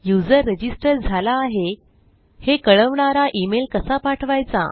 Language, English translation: Marathi, How do you send them an email confirming that they have registered